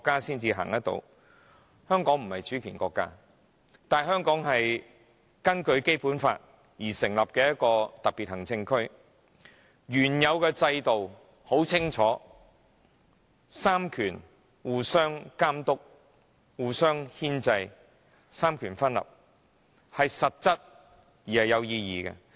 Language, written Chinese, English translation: Cantonese, 然而，我必須指出，香港雖不是主權國家，但卻是根據《基本法》而成立的一個特別行政區；原有的制度很清楚，就是三權互相監督、牽制，三權分立是實質而有意義的。, However I must point out that while Hong Kong is not a sovereign state it is a special administrative region established under the Basic Law . The previous system mentioned therein is very clear it is a system of checks and balances among the three powers . Separation of powers is both actual and of practical significance